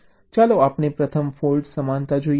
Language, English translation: Gujarati, lets see fault equivalence first